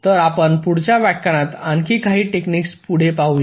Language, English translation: Marathi, so we shall be continuing with some more techniques later in our next lectures